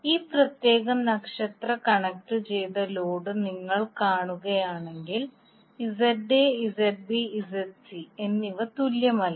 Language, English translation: Malayalam, So if you see this particular star connected load, ZA, ZB, ZC are not equal